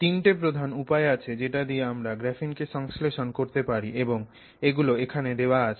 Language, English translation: Bengali, So, there are broadly three major ways in which we can synthesize graphene and they are listed here